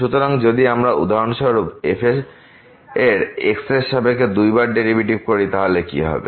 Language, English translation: Bengali, So, what will happen if we take for example, the derivative of with respect to two times